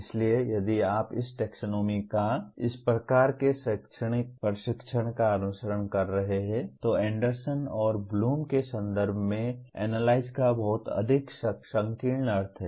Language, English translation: Hindi, So if you are following this taxonomy or as well as this kind of pedagogical training, then Analyze means/ has a very much narrower meaning in the context of Anderson and Bloom